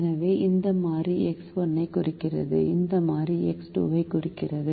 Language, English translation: Tamil, so this stands for variable x one, this stands for variable x two